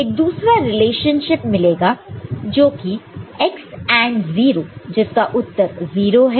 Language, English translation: Hindi, Will get another relationship that is x AND 0 with 0 AND with 0, results in 0 ok